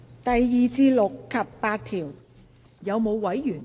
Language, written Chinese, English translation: Cantonese, 第2至6及8條。, Clauses 2 to 6 and 8